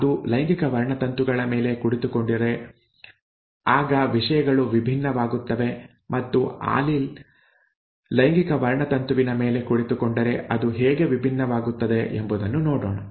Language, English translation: Kannada, If it is, if it sits on the sex chromosomes, then things are going to be different and let us see how the things become different, if the allele sits on the sex chromosome